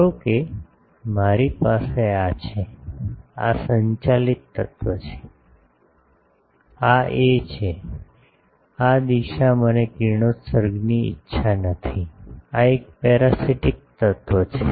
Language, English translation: Gujarati, Suppose I have a, this is the driven element, this is a, this direction I do not want radiation, this is a parasitic element